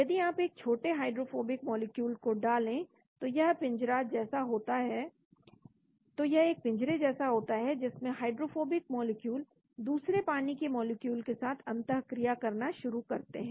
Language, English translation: Hindi, If you put in a small hydrophobic molecule, there is a cage like leaving the hydrophobic molecules and the other water molecules start interacting